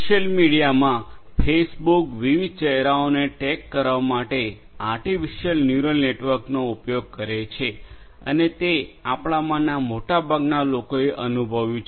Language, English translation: Gujarati, For social media, Facebook uses artificial neural network for tagging different faces and this is what most of us have already experienced